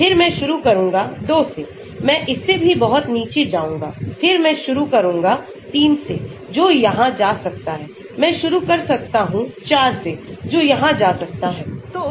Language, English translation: Hindi, Then I start with 2, I will go down much lower than this, then I may start with 3, which may go here, I may start with 4, which may go here